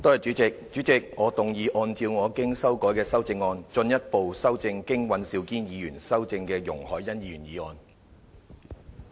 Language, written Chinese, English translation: Cantonese, 主席，我動議按照我經修改的修正案，進一步修正經尹兆堅議員修正的容海恩議員議案。, President I move that Ms YUNG Hoi - yans motion as amended by Mr Andrew WAN be further amended by my revised amendment